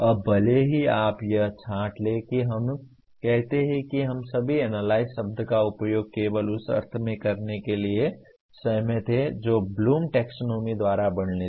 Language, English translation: Hindi, Now even if you sort that out let us say we all agree to use the word analyze only in the sense that is described by Bloom’s taxonomy